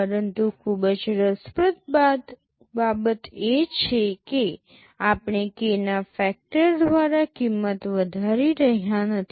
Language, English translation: Gujarati, But the very interesting thing is that we are not increasing the cost by a factor of k